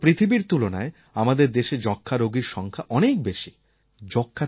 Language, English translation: Bengali, Compared to the world, we still have a large number of TB patients